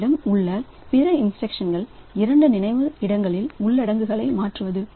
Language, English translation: Tamil, Other instruction that we have is to swap the contents of two memory locations